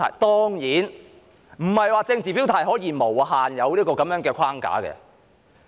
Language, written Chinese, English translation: Cantonese, 當然不是說政治表態可以完全不受規限。, Of course I am not saying that expression of political stance can be completely free from restriction